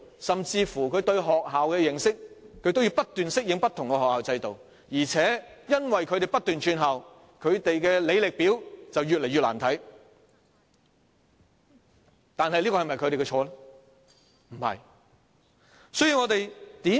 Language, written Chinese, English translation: Cantonese, 甚至在對學校的認識上，他們也要不斷適應不同學校的制度，而且由於他們不斷轉校，他們的履歷表便越來越"難看"，但這是否他們的錯呢？, Even regarding their knowledge of the schools they have to keep adapting to different school systems . Moreover since they keep leaving one school for another their resume will look increasingly uglier . But is it their fault?